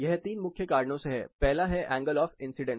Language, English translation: Hindi, This is for three main reasons; one is the angle of incidence